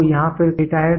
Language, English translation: Hindi, So, again here it is a data